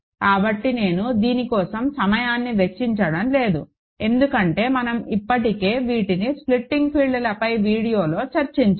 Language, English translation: Telugu, So, I am not spending time on this because we have already discussed these in the video on splitting fields